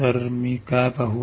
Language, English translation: Marathi, So, what will I see